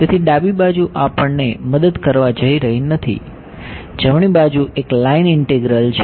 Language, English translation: Gujarati, So, the left hand side is not going to help us very much, the right hand side is a line integral